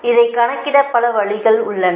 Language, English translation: Tamil, this is another way of calculating